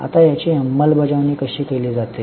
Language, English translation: Marathi, Now, how is this executed